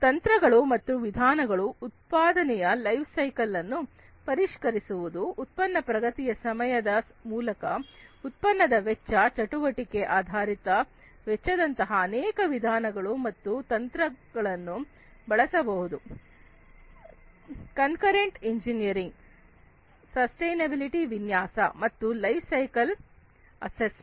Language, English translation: Kannada, Techniques and methods, to refine the production across the lifecycle by means of product progress time, product cost, many methods and techniques can be used such as activity based costing, concurrent engineering, design for sustainability, and lifecycle assessment